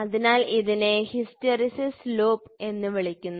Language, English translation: Malayalam, So, this is called as hysteresis loop